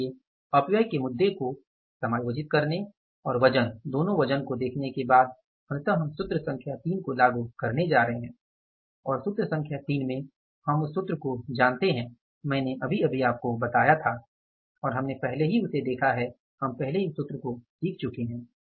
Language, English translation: Hindi, So, after adjusting the issue of the wastages and looking at the weights, two weights, finally we are going to apply the formula number 3 and in the formula number 3 we know the formula just I told you now and we have already seen that we have already learned about that formula